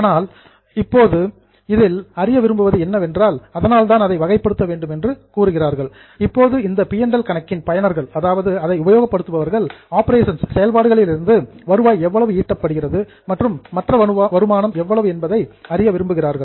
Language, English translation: Tamil, But now the users of that P&L account want to know how much is a revenue generated from operations and how much is other income